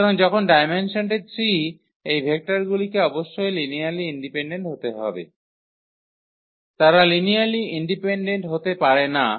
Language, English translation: Bengali, So, when the dimension is 3 these vectors must be linearly dependent, they cannot be linearly independent